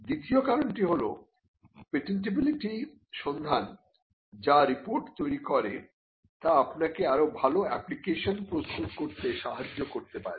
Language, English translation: Bengali, The second reason is that a patentability search which generates a report can help you to prepare a better application